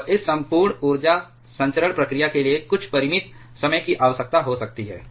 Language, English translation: Hindi, And this entire energy transmission process it may require some finite amount of time